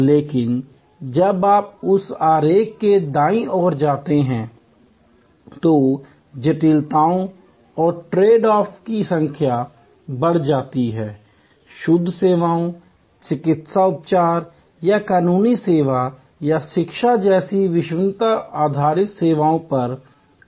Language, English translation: Hindi, But, the complexities and the number of tradeoffs go up as you go towards the right of that diagram, go more to pure services, credence based services like medical treatment or legal service or education